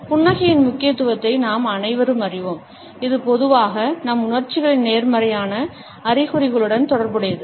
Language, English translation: Tamil, All of us know the significance of smiles, it is associated with positive indications of our emotions normally